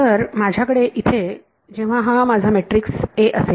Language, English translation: Marathi, So, when I have my matrix my A over here